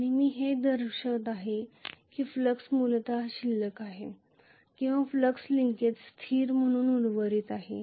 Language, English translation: Marathi, And I am showing that the flux is basically remaining or flux linkage is remaining as a constant